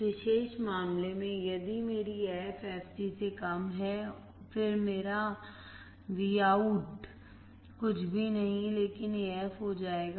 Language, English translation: Hindi, If my f is less than fc, in this particular case, then my Vout will be nothing but AF